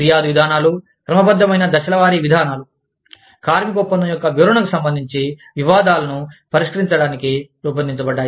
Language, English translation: Telugu, Grievance procedures are, systematic step by step procedures, designed to settle disputes, regarding the interpretation of the labor contract